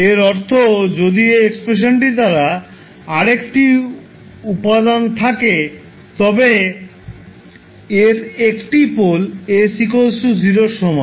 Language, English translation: Bengali, Means if this expression is having another component like one by s then you will have one pole at s is equal to 0